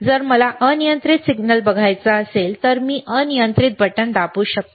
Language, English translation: Marathi, If I want to see arbitrary signal, I can press arbitrary button